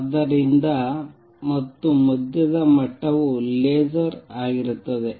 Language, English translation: Kannada, So, is this and level in the middle onward will be laser